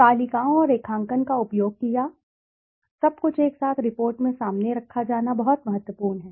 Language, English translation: Hindi, The tables and the graphs used, everything all together is very important to be put forth in the report